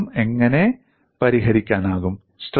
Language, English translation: Malayalam, How the contradiction can be resolved